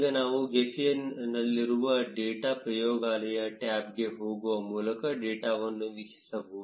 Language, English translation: Kannada, Now, we can view the data by going to the data laboratory tab in gephi